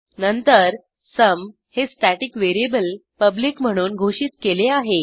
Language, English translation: Marathi, Then we have a static variable sum declared as public